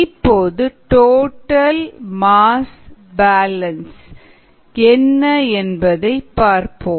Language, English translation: Tamil, let us do a balance on the total mass